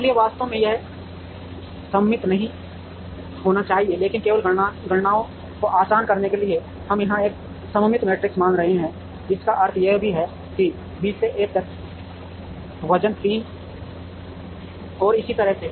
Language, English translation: Hindi, So, in reality this need not be symmetric, but just to make the computations easy, we are assuming a symmetric matrix here which also means that from B to A the weight is 3 and so on